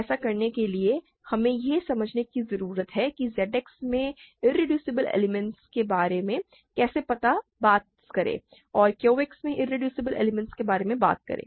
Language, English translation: Hindi, In order to do that we need to understand how to talk about irreducible elements in Z X versus irreducible elements in Q X